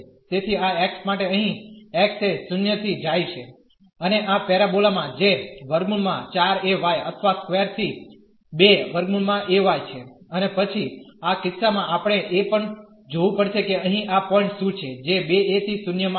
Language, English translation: Gujarati, So, for this x here x goes from 0 x goes from 0 and to this parabola which is a square root this 4 a y or square to square root a y and then in this case we have to also see what is this point here which will come as 2 a into 0